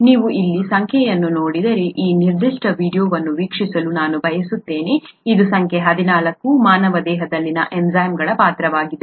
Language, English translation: Kannada, I would like you to watch this particular video if you look at the number here, it is number 14, role of enzymes in the human body